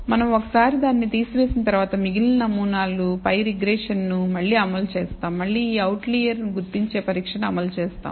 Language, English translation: Telugu, Once we remove that we again run a regression on the remaining samples, and again run this outlier detection test